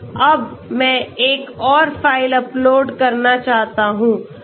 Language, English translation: Hindi, So the file has been uploaded